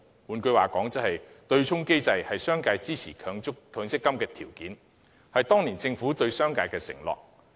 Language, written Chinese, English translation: Cantonese, 換句話說，對沖機制是商界支持強積金的條件，是當年政府對商界的承諾。, In other words the offsetting mechanism was a condition imposed by the business sector in exchange for their support for the MPF System or the undertaking made by the Government to the business sector